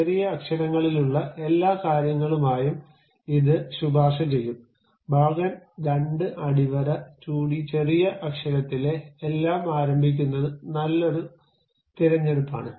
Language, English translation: Malayalam, And it would be recommended if you go with everything in lower case letters, part2 underscore 2d everything in lower case letter is a good choice to begin with